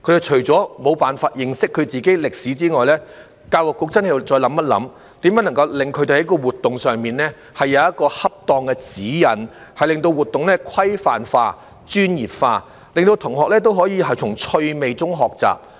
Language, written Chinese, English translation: Cantonese, 除了他們無法認識自己的歷史外，教育局亦必須再思考如何就他們的活動提供恰當的指引，令活動規範化、專業化，令學生可以從趣味中學習。, Apart from the fact that they are unable to learn about our own history the Education Bureau must also reconsider how to provide appropriate guidelines for their activities so that such activities can become standardized and professional thus enabling students to learn with fun